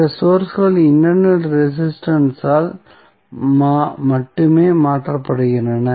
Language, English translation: Tamil, So, other sources are replaced by only the internal resistance